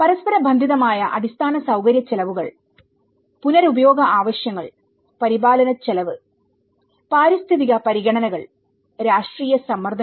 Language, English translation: Malayalam, Inter related infrastructure costs, recycling needs, maintenance cost, environmental considerations, and political pressures